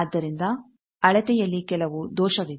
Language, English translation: Kannada, So, there is some error in the measurement